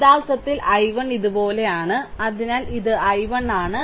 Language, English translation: Malayalam, And this actually i 1 goes like these this is i 1, so this is i 1 right